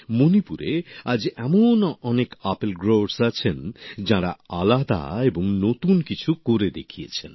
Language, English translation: Bengali, There are many such apple growers in Manipur who have demonstrated something different and something new